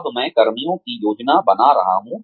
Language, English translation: Hindi, Now, I am coming to personnel planning